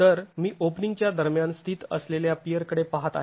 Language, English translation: Marathi, So, I'm looking at a pier that is sitting between openings